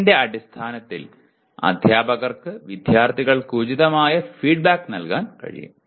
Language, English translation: Malayalam, Based on that the teacher can give appropriate feedback to the students